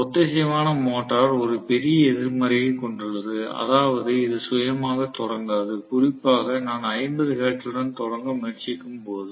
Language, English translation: Tamil, So, synchronous motor has one major negative point that is, it is not self starting, especially, I am trying to start with 50 hertz